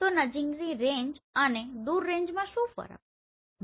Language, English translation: Gujarati, So in near range and far range what is the difference